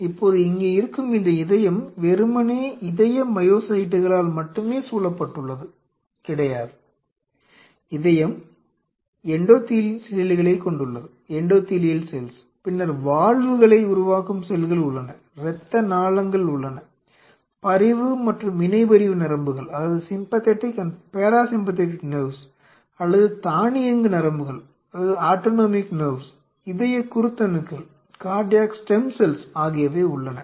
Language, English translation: Tamil, Now, this heart which is here, it is surrounded by not only heart has only cardio myocytes, the heart consists of endothelial cells then there are cells which are forming the valves, there are blood vessels, there are sympathetic and parasympathetic nerves or rather autonomic nerves, there are stem cells cardiac step cells which are present there